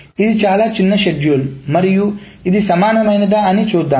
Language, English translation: Telugu, This is a very short schedule and let us see whether this is equivalent